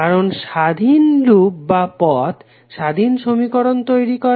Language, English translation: Bengali, Because independent loops or path result in independent set of equations